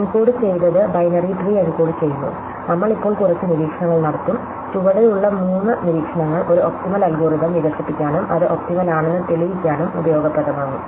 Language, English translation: Malayalam, So, having encoded look at are encoding the binary tree, we will now make a couple of observation, three observation of bottom which will be useful prove to develop an optimal algorithm and prove it is optimal